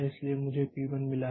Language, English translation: Hindi, So, here I have got P 1